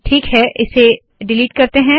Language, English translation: Hindi, Alright, lets delete these